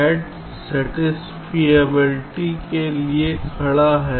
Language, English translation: Hindi, sat stands for satisfiability